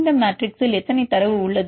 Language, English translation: Tamil, What is about the, how many data in this matrix